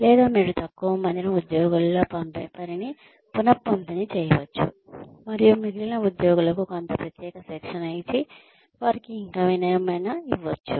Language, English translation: Telugu, Or, you could redistribute the work, among a fewer employees, and give the remaining employees, some specialized training and give them, something else to do